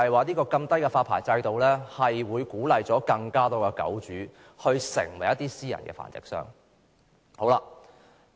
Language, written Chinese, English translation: Cantonese, 低門檻發牌制度帶來惡果，只會鼓勵更多狗主成為私人繁殖商。, A licensing regime with a low threshold will bring about bad consequences by encouraging more dog owners to become private breeders